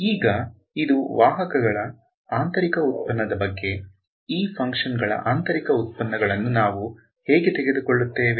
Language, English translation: Kannada, Now so, this is about inner product of vectors, how about inner product of functions, how do we take inner products of functions